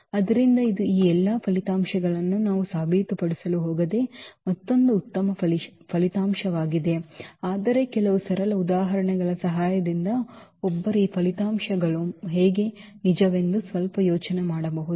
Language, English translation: Kannada, So, that is a another nice results we are not going to prove all these results, but one can with the help of some simple examples one can at least get some idea that how these results are true